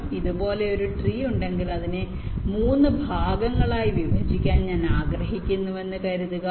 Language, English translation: Malayalam, so once you have a tree like this, suppose i want to divide it up into three parts